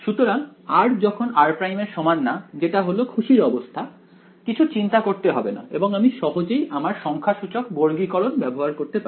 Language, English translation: Bengali, So, when r is not equal to r prime that is the happy case there is nothing to worry about that I simply use your numerical quadrature